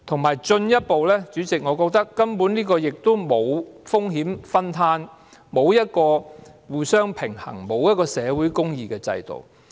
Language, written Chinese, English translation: Cantonese, 再進一步來說，主席，我認為強積金制度根本沒有風險分攤的效果，是一個欠缺互相平衝，缺乏社會公義的制度。, Furthermore President I think the MPF System does not have any risk - sharing effect; it is a system that lacks balance between both sides or social justice either